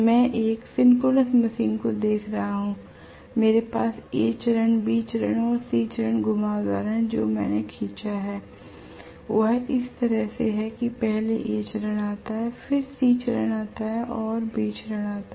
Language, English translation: Hindi, If I are looking at a synchronous machine, I have the A phase, B phase and the C phase windings what I had drawn is in such a way that first comes A phase, then comes C phase, then comes B phase that is the way I have drawn it